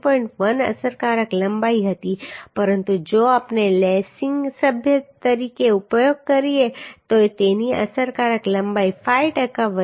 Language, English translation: Gujarati, 1 effective length but if we use as a lacing member then its increase effective length will be increased by 5 percent so 1